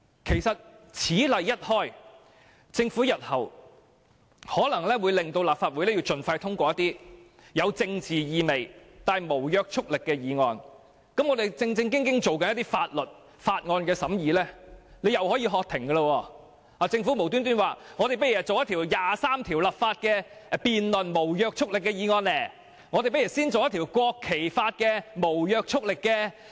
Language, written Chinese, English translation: Cantonese, 其實，此例一開，政府日後可能會要求立法會盡快通過有政治意味但無約束力的議案，再次叫停我們認真處理的法案審議工作，例如突然要求進行《基本法》第二十三條立法的無約束力議案辯論，或是先行辯論《國旗法》的無約束力議案。, If a precedent is set the Government may in future once again ask the Legislative Council to stop the deliberation of bills which we have taken to heart and hastily pass a non - binding motion with political significance . For example the Government may suddenly ask the Legislative Council to debate on non - binding motions concerning the enactment of legislation on Article 23 of the Basic Law or the law on national flag